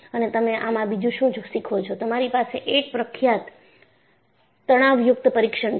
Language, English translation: Gujarati, And, what you do in this, you have a famous tension test